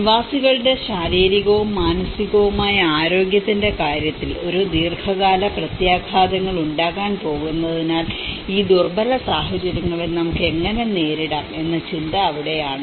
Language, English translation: Malayalam, And that is where the thought of how we can address these vulnerable situations because these are going to have a long term impacts both in terms of the physical and the mental health of the inhabitants